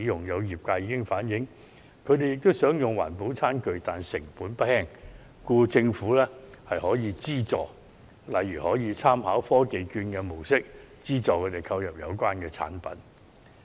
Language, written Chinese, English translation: Cantonese, 有業界已經反映，他們雖然也想改用環保餐具，但成本不輕，希望政府可以提供資助，例如參考科技券的做法，資助他們購買環保餐具。, Some people in the industry say that while they want to replace the not so eco - friendly utensils with greener choices the cost in doing so is not at all cheap . They hope the Government will provide a subsidy similar to technology vouchers for the purchase of eco - friendly utensils